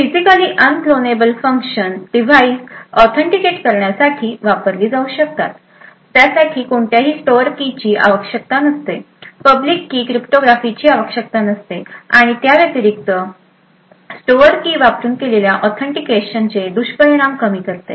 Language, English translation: Marathi, So, Physically Unclonable Functions can be used for authenticating devices, it does not have require any stored keys, typically does not require any public key cryptography, and furthermore it also, alleviates the drawbacks of authentication with the stored keys